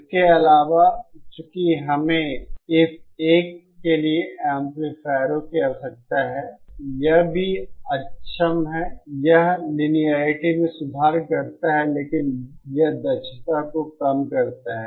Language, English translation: Hindi, Also, since we need to amplifiers for this one, it is also inefficient, it improves the linearity, but it reduces the efficiency